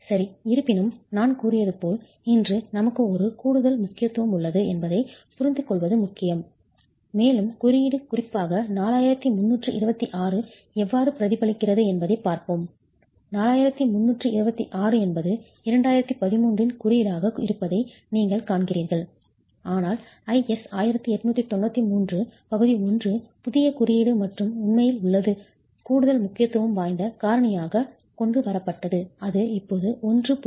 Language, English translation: Tamil, However, as I said, it's important to understand that we have an additional importance factor today and we will see how the code, particularly 4326 reflects, you see that 4326 is a 2013 code but the IAS 198093 part 1 is newer code and actually has brought in an additional importance factor which is 1